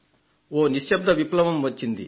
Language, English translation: Telugu, Isn't it a silent revolution